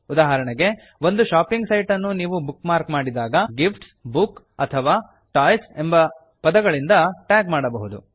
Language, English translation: Kannada, * For example, when you bookmark a shopping site, * You might tag it with the words gifts, books or toys